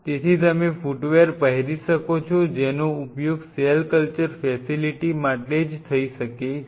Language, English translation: Gujarati, So, you could have very dedicated foot wears which could be used for the cell culture facility itself